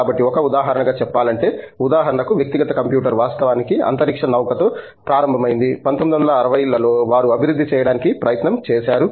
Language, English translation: Telugu, So, just to give as an aside as an example: For example, the personal computer actually started with the space shuttle, so that was in the 1960's that they were trying to develop and then